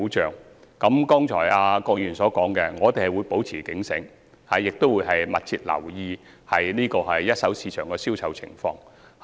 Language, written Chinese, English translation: Cantonese, 就郭議員剛才提出的意見，我們會保持警醒，亦會密切留意一手市場的銷售情況。, In light of the views shared by Mr KWOK just now we will stay vigilant and keep a close watch on the sales in the first - hand market